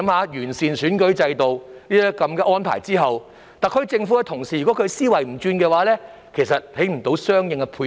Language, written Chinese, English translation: Cantonese, 在完善選舉制度的安排後，如果特區政府的思維不變，便無法作出相應的配合。, Upon the improvement of the electoral system adjustments can be made accordingly only when the SAR Government changes its mindset